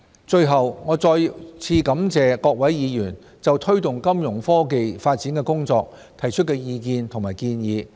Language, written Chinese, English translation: Cantonese, 最後，我要再次感謝各位議員就推動金融科技發展的工作提出的意見和建議。, Finally I have to thank Members once again for their views and proposals on promoting Fintech development